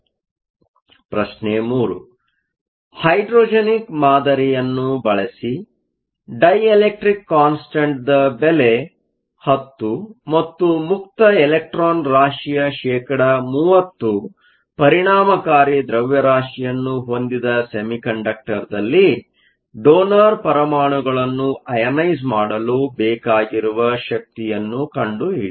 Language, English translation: Kannada, Question 3: Using the hydrogenic model, how much energy is required to ionize a donor atom in a semiconductor with a dielectric constant of 10 and an electron effective mass that is only 30 percent of the free electron mass